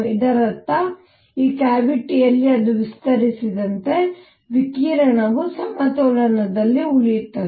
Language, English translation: Kannada, This means in this cavity as it expands, the radiation remains at equilibrium